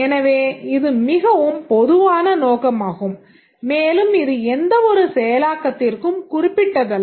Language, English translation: Tamil, So, it is a very general purpose one and it is not specific to any implementation